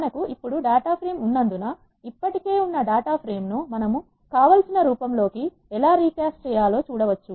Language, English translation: Telugu, Since we have the data frame now, we can see how to recast the existing data frame into the form which we want